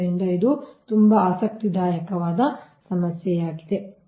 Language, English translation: Kannada, so this a very interesting problem